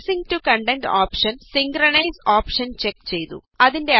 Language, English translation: Malayalam, Spacing to contents has the Synchronize option checked